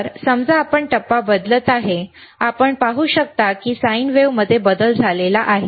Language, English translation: Marathi, So, suppose we are changing the phase, you can see that there is a change in the sine wave